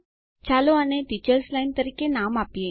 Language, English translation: Gujarati, Let us name this line as Teachers line